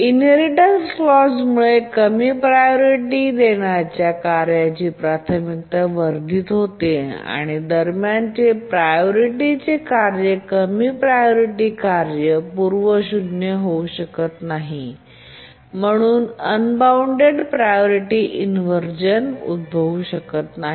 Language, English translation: Marathi, So it is the inheritance clause because of that the priority of the low priority task gets enhanced and the intermediate priority task cannot undergo cannot cause the low priority task to be preempted and therefore unbounded priority inversion cannot occur